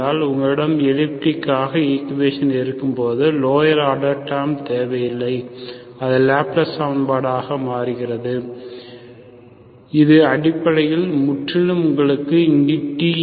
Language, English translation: Tamil, When you have elliptic equation, it looks like, when you do not have lower order terms, it becomes Laplace equation, so it is basically purely, you do not have time involved here